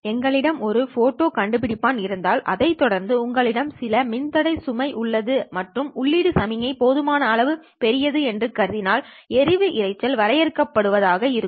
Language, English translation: Tamil, If you just have a photo detector, of course followed by some load resistor that you have and assume that the input signal is fairly large enough so that this is short noise limited